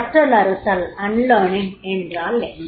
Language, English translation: Tamil, What is unlearning